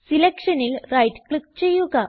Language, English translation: Malayalam, Now, right click on the selection